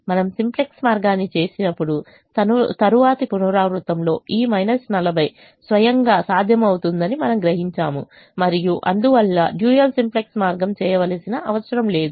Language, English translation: Telugu, we also realize that is, in the next iteration this minus forty by itself was becoming feasible and therefore there was no need to do the dual simplex way